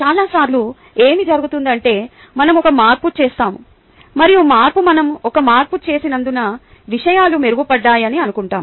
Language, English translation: Telugu, ok, many times what happens is that, ah, we make a change and we assume that, because we have made a change, things are in, things have improved, right